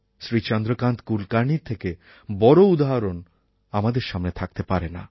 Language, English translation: Bengali, No one could be a greater source of inspiration than Chandrakant Kulkarni